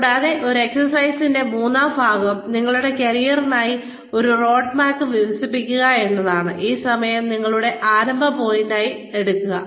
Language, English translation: Malayalam, And, the third part of this exercise is, develop a roadmap for your career, taking this time, as your starting point